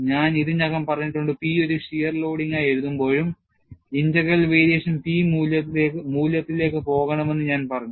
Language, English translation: Malayalam, And I have already said, even while writing the P as a shear loading, I said the integral of the variation should go to the value P